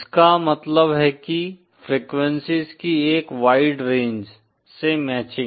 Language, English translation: Hindi, It means matching for a wide range of frequencies